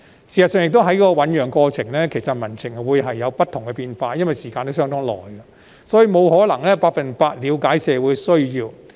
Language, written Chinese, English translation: Cantonese, 事實上，在政策醞釀的過程中，民情會有不同變化，因為歷時甚久，所以不可能百分百了解社會需要。, In fact public sentiment could have changed time and again in the process of policy deliberation which may take a long time . It is thus impossible for the Government to fully understand the needs of society